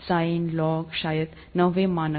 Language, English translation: Hindi, Sine, log, probably ninth standard